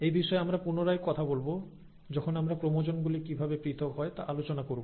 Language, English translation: Bengali, And I will come back to this when we are talking about how the chromosomes actually get separated